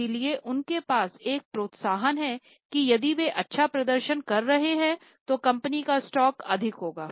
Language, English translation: Hindi, So, they have an incentive that if they are performing well, the prices of the company will, the stock of the company will be high